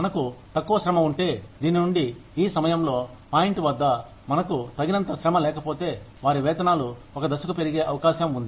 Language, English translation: Telugu, If we have less labor coming in, from this, at this point, if we do not have enough labor, their wages are likely to go up, to a point